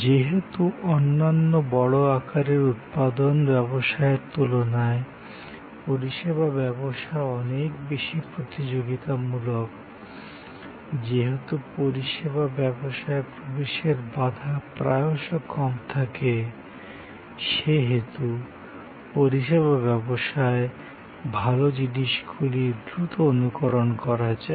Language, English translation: Bengali, Because, service business is much more competitive than certain other large scale manufacturing businesses, because the entry barrier in the service business is often lower and good things in one service business can be quickly emulated